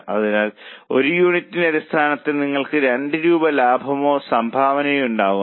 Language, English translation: Malayalam, So, per unit basis, you make a profit of or contribution of $2